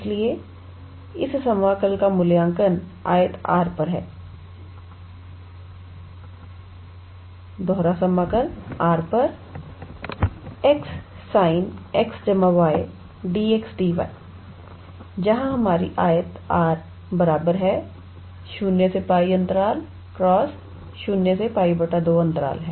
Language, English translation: Hindi, So, it is evaluate, integral over the rectangle R x sin x plus y d x d y where our rectangle R is 0 to pi times 0 to pi by 2